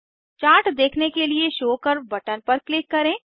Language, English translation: Hindi, Click on Show curve button to view the Chart